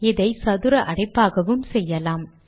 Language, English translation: Tamil, We can do this also with square brackets